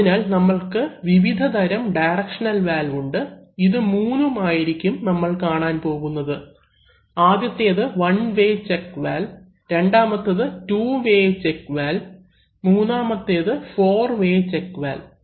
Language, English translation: Malayalam, So, we have various kinds of directional valves, we are going to look at these three, so the first one is a one way check valve, the second one is the two way valve, and the third one is called a four way valve